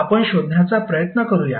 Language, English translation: Marathi, Let's try to find out